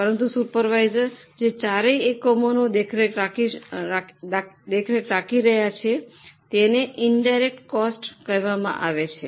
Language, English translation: Gujarati, But the cost of the supervisors who are supervising all the four units, it will be an indirect cost